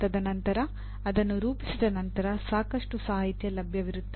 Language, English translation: Kannada, And then having formulated, there would be lot of literature available